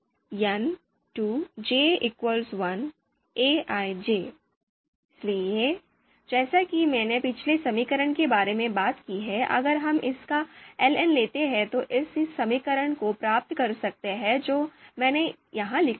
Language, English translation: Hindi, So you know as I talked about in the previous equation if we take the ln of it we can derive this equation that I have written here